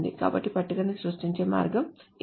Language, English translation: Telugu, So this is the way to create a table